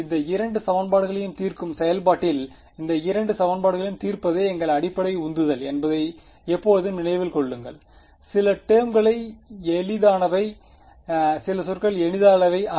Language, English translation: Tamil, Always keep in mind that our basic motivation is to solve these two equations in the process of solving these two equations some terms are easy some terms are not easy